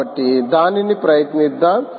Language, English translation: Telugu, so lets try that